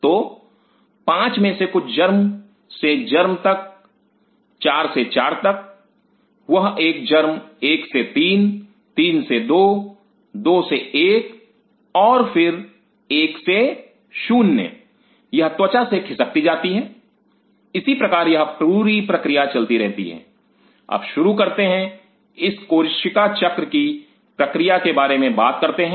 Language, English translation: Hindi, So, from 5 something germ to germs to 4 from 4 that 1 germ to 3 from 3 to 2 2 to 1 and then form 1 0 it gets you know sluft of from the skin similarly this whole process continuous now coming said this now start let us talk about this cell cycle process